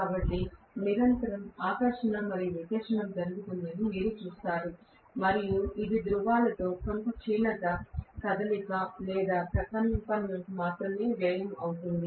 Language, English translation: Telugu, So you would see that continuously there will be attraction and repulsion taking place and that will cost only some kind of dwindling motion or vibration in the poles